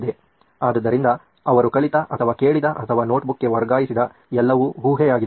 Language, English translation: Kannada, So whatever they have learnt or heard or what is being transferred to the notebook